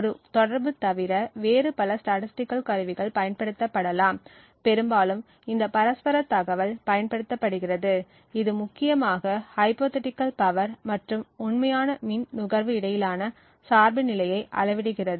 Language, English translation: Tamil, So, there are various other statistical tools that can be used other than a correlation, quite often this mutual information is used which essentially quantifies the dependence between the hypothetical power and the real power consumption